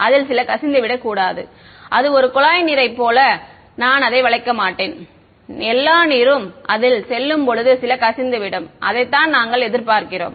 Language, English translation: Tamil, Some of it will leak not it will its not like a pipe of water that I bend it and all the water goes out some of it will leak out that is what we will expect